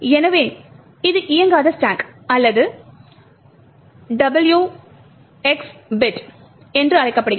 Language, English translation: Tamil, So, this is called the non executable stack or the W ^ X bit